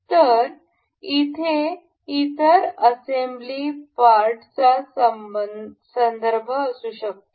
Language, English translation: Marathi, So, that this other assembly part may have a reference